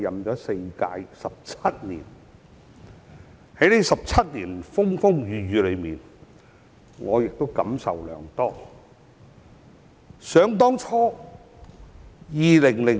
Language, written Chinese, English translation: Cantonese, 在這17年的風風雨雨裏，我感受良多。, These 17 tumultuous years have filled me with a lot of thoughts